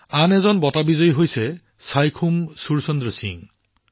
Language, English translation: Assamese, There is another award winner Saikhom Surchandra Singh